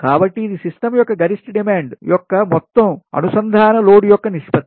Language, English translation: Telugu, it is the ratio of the maximum demand of a system to the total connected load of the system